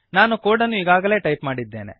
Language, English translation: Kannada, I have already typed the code